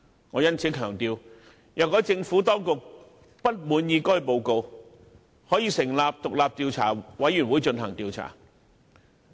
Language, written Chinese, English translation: Cantonese, 我因此強調，"若政府當局不滿意該報告，可成立獨立調查委員會對該事件進行調查。, I therefore stressed that if the Administration found the report unsatisfactory it could set up an independent commission of inquiry to conduct an investigation into the incident